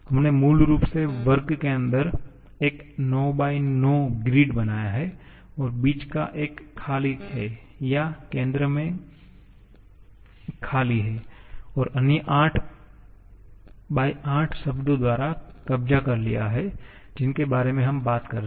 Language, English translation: Hindi, We have basically made a 9 x 9 grid inside square and the middle one is empty or the central one and other 8 have been occupied by the 8 terms that we are talking about